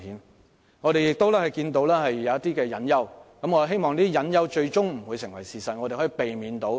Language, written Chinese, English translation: Cantonese, 但我們亦同時看到一些隱憂，希望這些隱憂最終不會成為事實，得以避免。, Having said that we have seen some hidden worries at the same time and I hope these hidden worries would not come true and could be avoided